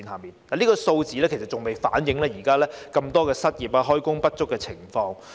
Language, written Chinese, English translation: Cantonese, 然而，這些數字尚未反映現時這麼多失業、開工不足的情況。, Worse still the serious unemployment and underemployment problems plaguing Hong Kong right now were not reflected in those figures